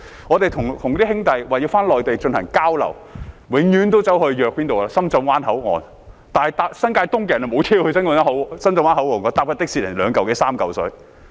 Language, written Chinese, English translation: Cantonese, 我們跟一些兄弟回內地進行交流，永遠都是相約在深圳灣口岸，但是新界東的市民沒有公共交通工具前往深圳灣口岸，如果乘坐的士則要二三百元。, Whenever we follow some buddies to the Mainland for exchanges we meet at the Shenzhen Bay Port but there is no public transport for members of the public in New Territories East to go to the Shenzhen Bay Port and a taxi ride would cost 200 to 300